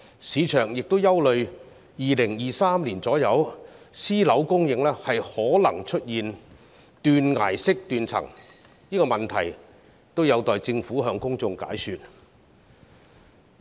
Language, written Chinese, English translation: Cantonese, 市場亦憂慮到了2023年左右，私樓供應可能出現斷崖式斷層，這個問題也有待政府向公眾解說。, The market is also concerned about a possible substantial shortfall in private housing supply by around 2023 . The Government has yet to explain this to the public